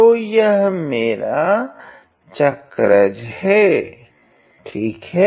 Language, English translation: Hindi, So, that is my cycloid ok